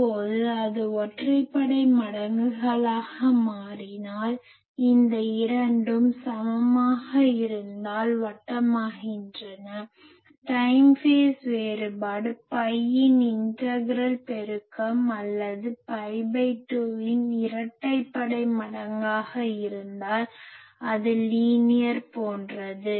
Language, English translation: Tamil, Now that if it becomes odd multiples and these 2 are equal that become circular if the time phase difference become that odd multiple of a; sorry integral multiple of pi or you can say even multiple of pi by 2, then it is a linear etc